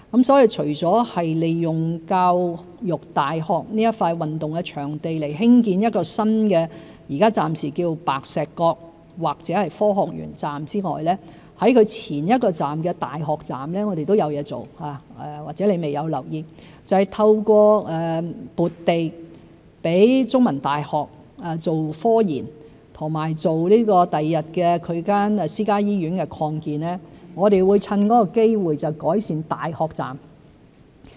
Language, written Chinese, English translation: Cantonese, 因此，除利用教育大學的一幅運動場地興建暫名為白石角或科學園站的新車站之外，在其前一個站大學站，我們都有工作要進行——或者陳議員未有留意——就是藉着撥地供中文大學做科研工作和用以擴建其未來的私家醫院，趁機改善大學站。, Therefore apart from the construction of a new station tentatively named as the Pak Shek KokScience Park Station at a sports venue of The Education University of Hong Kong we also need to undertake some work on the previous station namely the University Station―Mr CHAN may not have noticed―that is in providing The Chinese University of Hong Kong CUHK with land for research use and future expansion of its private medical centre we need to take the opportunity to upgrade the University Station